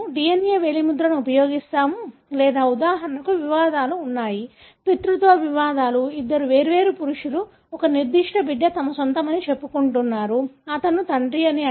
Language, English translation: Telugu, We will use DNA finger printing or there are disputes for example, paternity disputes, two different males claiming that a particular child is their own, he is the father